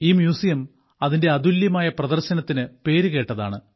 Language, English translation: Malayalam, It is also known for its unique display